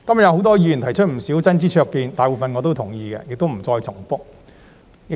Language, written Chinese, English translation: Cantonese, 有很多議員今天提出不少真知灼見，大部分我也同意，所以不重複了。, Many Members have offered quite a few insightful views today with which I agree for the most part so I am not going to repeat them